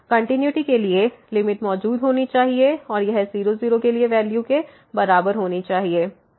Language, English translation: Hindi, For continuity, the limit should exist and it should be equal to the value at